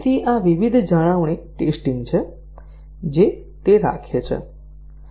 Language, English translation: Gujarati, So, these are various maintenance testing it keeps